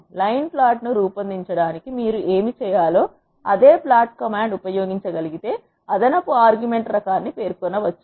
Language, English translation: Telugu, If the same plot command can be used what you need to do to generate a line plot, is to specify an extra argument type which is l